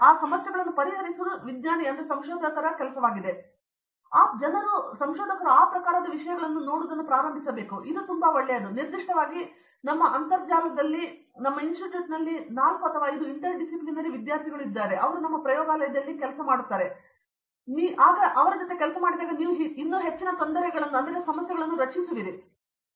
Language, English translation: Kannada, So people have to start looking at those type of things and that is very good and specifically in our institute with this interdisciplinary stuff that has come actually 4 or 5 interdisciplinary students are there in our lab today and that is creating lot of more you know existing problems